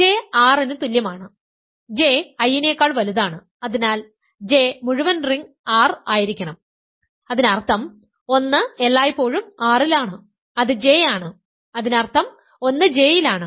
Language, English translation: Malayalam, So, J is equal to R; J is properly bigger than I so, J must be the entire ring R; that means, 1 is in R always which is J; that means, 1 is in J